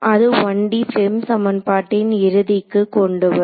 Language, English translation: Tamil, So, that brings us to an end of the 1D FEM equation